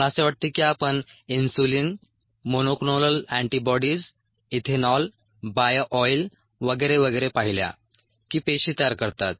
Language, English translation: Marathi, I think we saw insulin, monoclonal antibodies, ethanol, ah, bio oil and so on and so forth that the ah cells produce